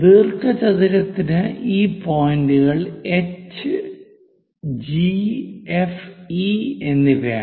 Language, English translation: Malayalam, BCD for the rectangle this is HG F and E